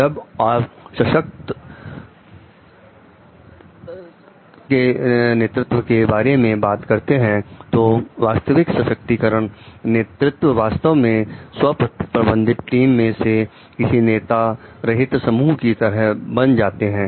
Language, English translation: Hindi, When we are talking of trance like empowering leadership in true empowering leadership actually in self managed teams they it becomes a real like leaderless group